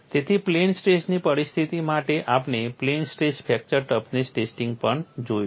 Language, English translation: Gujarati, So, for plane stress situation, we have also seen a plane stress fracture toughness testing